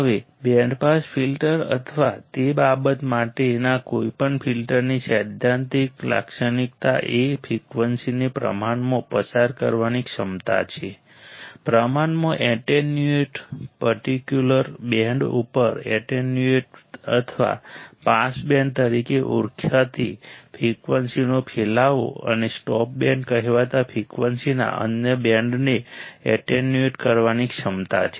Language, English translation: Gujarati, Now, the principle characteristic of band pass filter or any filter for that matter is its ability to pass frequencies relatively, un attenuated relatively, un attenuated over a specific band or spread of frequency called pass band and attenuate the other band of frequency called stop band, we have seen this